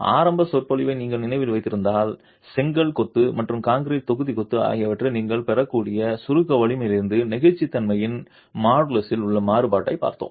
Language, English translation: Tamil, If you remember the initial lecture, we looked at the kind of variability in the modulus of elasticity from the compressive strength that you can get in brick masonry and in concrete block masonry